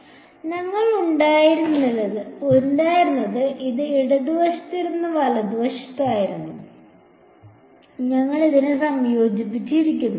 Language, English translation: Malayalam, So, what we had, this was the left hand side right which we had integrated over this